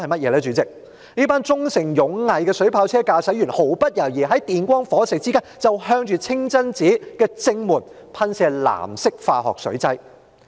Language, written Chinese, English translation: Cantonese, 就是這群忠誠勇毅的水炮車駕駛員，毫不猶豫地在電光火石之間向着清真寺正門噴射藍色化學水劑。, Those water cannon operators who serve Hong Kong with honour duty and loyalty without a second thought and in a split second sprayed blue - dyed chemical solution at the front entrance of the mosque